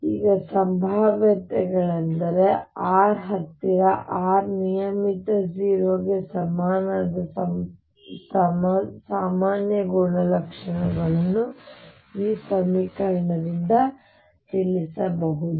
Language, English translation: Kannada, Now for potentials that r regular near r equals 0 some general properties about r can be inform from this equation